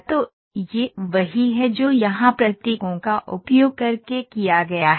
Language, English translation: Hindi, So, that is what is done using the symbols here